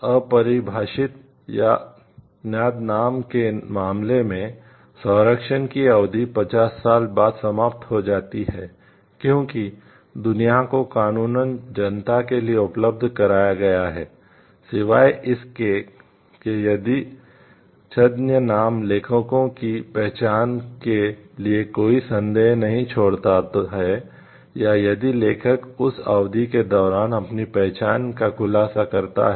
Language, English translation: Hindi, In the case of undefined or pseudonymous work, the term of protection expires 50 years after the world has been lawfully made available to the public; except, if the pseudonym leaves no doubt as to the authors identity or if the author discloses his or her identity during that period